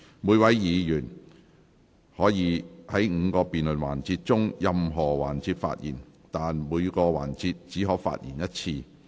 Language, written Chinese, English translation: Cantonese, 每位議員可在5個辯論環節中的任何環節發言，但在每個環節只可發言一次。, Each Member including the mover of the motion and movers of the amendments to the motion may speak in any of the five debate sessions but heshe may only speak once in each session